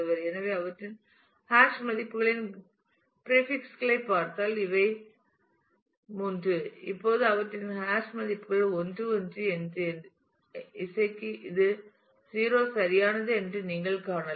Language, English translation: Tamil, So, these are the 3 now if we look into the prefixes of their hash values; you can see that their hash values are 1 1 and for music it is 0 right